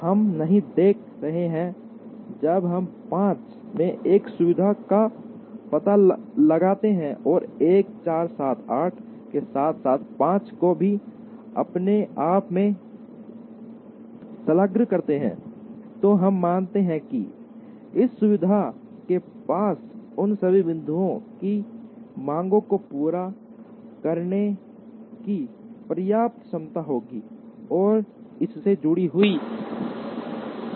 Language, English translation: Hindi, We are not looking at, when we locate a facility in 5 and attach 1 4 7 8 as well as 5 to itself, we assume that, this facility will have enough capacity to meets the demands of all the points that are attached to it